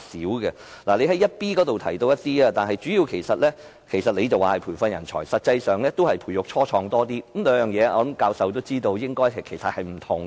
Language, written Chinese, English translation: Cantonese, 局長在主體答覆第二 b 部分中提到一些工作，局長說是培訓人才，但實際上是培育初創企業較多，我想教授也知道兩者是不同的。, The Secretary mentioned certain work in part 2b of the main reply which according to the Secretary is manpower training but actually it is more about nurturing start - ups . I guess the professor knows very well that the two are different